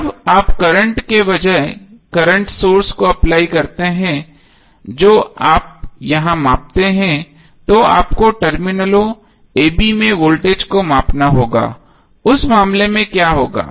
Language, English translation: Hindi, When you apply the current source instead of the current which you have measure here you have to measure the voltage across terminals a b